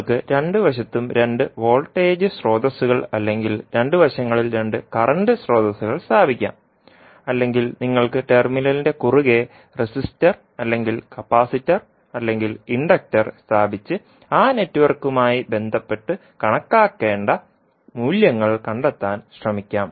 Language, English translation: Malayalam, You can either put two voltage sources on both sides or two current sources on both sides, or you can put the resistor or capacitor or inductor across the terminal and try to find out the values which are required to be calculated related to that particular network